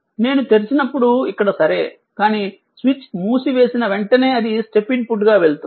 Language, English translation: Telugu, I mean from here when it is open is ok, but as soon as you close the switch and if it is going as a step input